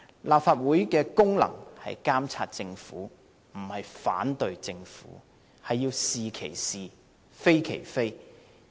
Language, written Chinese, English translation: Cantonese, 立法會的功能是監察政府，而不是反對政府，必須是其是，非其非。, The Legislative Council has the duty to monitor but not object the Government